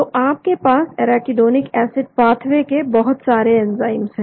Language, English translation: Hindi, So you have large number of enzymes in the arachidonic acid pathway